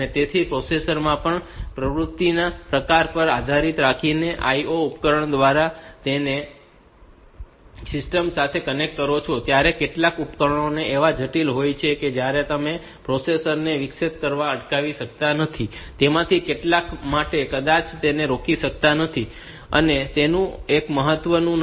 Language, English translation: Gujarati, So, that way in a processor also depending upon the type of activity the type of IO devices that you connect to the system, some of the devices are so critical that we cannot stop them from interrupting the processor, and for some of them we may we they are not that are not of that much importance